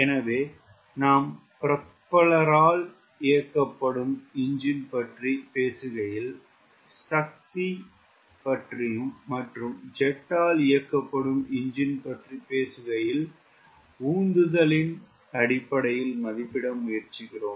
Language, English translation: Tamil, so whenever you are talking about propeller driven engine, we try to read the engine in terms of power and jet engine we try to read them in terms of thrust